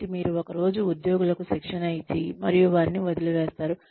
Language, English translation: Telugu, So, you cannot, just train employees, one day and leave them